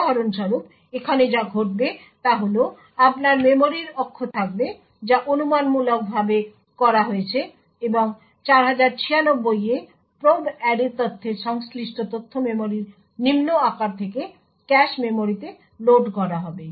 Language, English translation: Bengali, So, for example what would happen here is that there would be your memory axis which is done speculatively and data corresponding to probe array data into 4096 would be loaded into the cache memory from the lower size of the memory